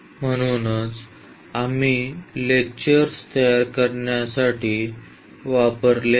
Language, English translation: Marathi, So, these are the references we have used for preparing the lectures and